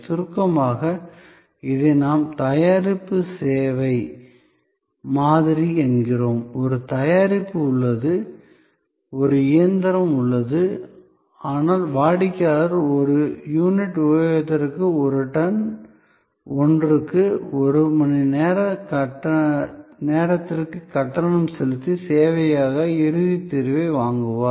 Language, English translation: Tamil, This in short is what we call product service model; there is a product, there is a machine, but what the customer is procuring is the final solution as service, paying on per ton, per hour, per units of usage